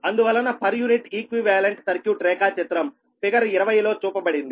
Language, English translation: Telugu, therefore, per unit equivalent circuit diagram is shown in figure twenty